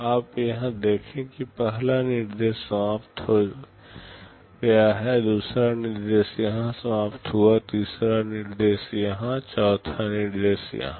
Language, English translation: Hindi, You see here first instruction is finished; second instruction was finished here, third instruction here, fourth instruction here